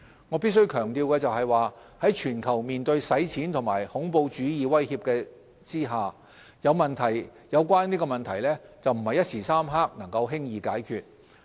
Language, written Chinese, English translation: Cantonese, 我必須強調的是，在全球面對洗錢和恐怖主義威脅的情況下，有關問題不是一時三刻能夠輕易解決。, I have to stress that amidst the global threats posed by money laundering and terrorism there is no easy quick fix to solve the issue